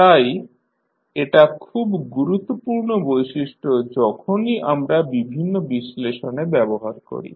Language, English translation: Bengali, So, this is important property when we use in our various analysis